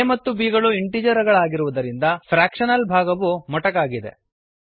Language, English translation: Kannada, The fractional part has been truncated as both the operands a and b are integers